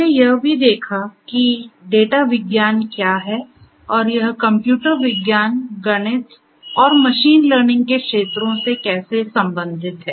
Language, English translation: Hindi, We have also seen what data sciences and how it relates to fields of computer science mathematics and machine learning